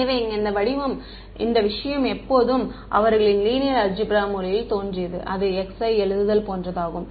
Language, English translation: Tamil, So, this thing over here they always appeared in the language of linear algebra it was like writing x i u i right